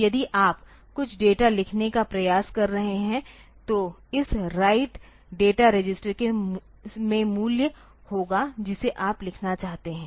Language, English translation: Hindi, So, if you are trying to write some data then this right data register will have the value in it that you want to write